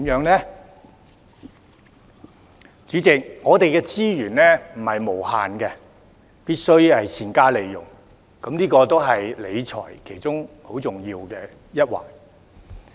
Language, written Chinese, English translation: Cantonese, 代理主席，我們的資源不是無限的，必須善加利用，這個也是理財其中很重要的一環。, Deputy Chairman as our resources are not unlimited we must make good use of them . This is also part and parcel of financial management